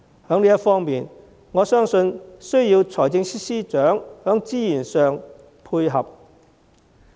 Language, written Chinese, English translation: Cantonese, 在這方面，我相信需要財政司司長在資源上配合。, In this connection I believe that the Financial Secretary needs to be supportive in terms of resources